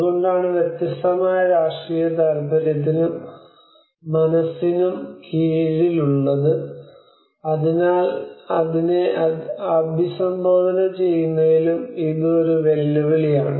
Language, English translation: Malayalam, So it is the cause is falling under the different political interest and the mind so it is a challenges in addressing that as well